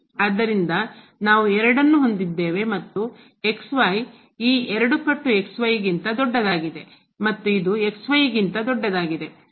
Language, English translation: Kannada, So, we have the 2 and the is greater than this 2 times the and this is greater than the